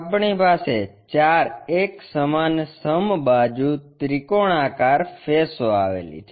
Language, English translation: Gujarati, We have four equal equilateral triangular faces